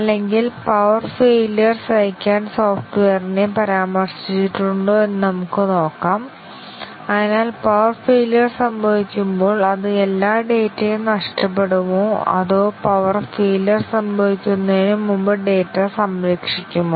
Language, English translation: Malayalam, Or, let us say if the software is mentioned to tolerate power failure, so when power failure occurs, does it lose all the data or does it save the data before the power failure occurs